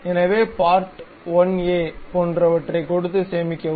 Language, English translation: Tamil, So, go there save as give something like part1a, save